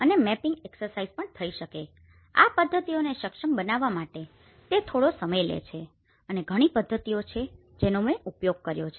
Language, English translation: Gujarati, And also the mapping exercises in fact, this to tailor these methods it took me some time and there are many methods which I have used